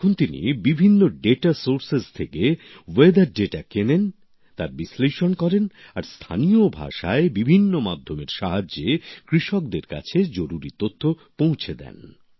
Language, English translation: Bengali, Now he purchases weather data from different data sources, analyses them and sends necessary information through various media to farmers in local language